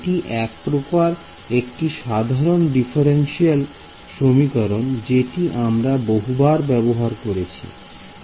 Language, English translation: Bengali, So, this is the sort of a general differential equation which is used many times fairly straight forward